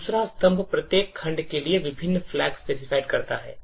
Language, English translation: Hindi, The second column specifies the various flags for each segment